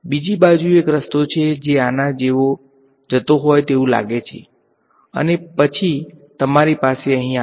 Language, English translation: Gujarati, On the other hand there is a path that seems to go like this and then come to you over here ok